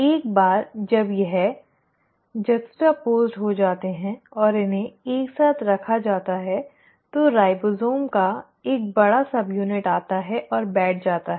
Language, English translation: Hindi, Once these are juxtaposed and are put together only then the large subunit of ribosome comes and sits